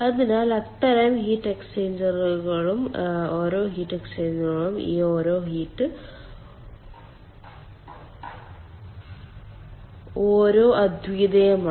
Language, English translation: Malayalam, so those kind of heat exchangers and each heat exchangers, each of these heat exchangers are unique, so many of such heat exchangers will be there